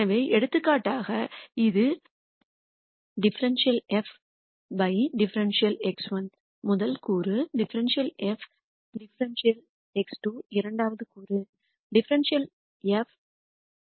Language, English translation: Tamil, So, for example, this is dou f dou x 1 is the rst component dou f dou x 2 is the second component and dou f dou x n is the last component